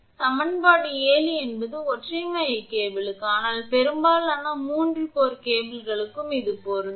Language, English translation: Tamil, Next, is that equation 7 is for single core cable, but it is also applicable to most of the 3 core cables